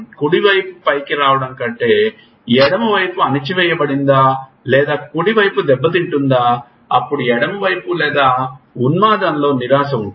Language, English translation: Telugu, Is the left side suppressed than the right side comes up or is the right side is damaged then there is a depression on the left side or mania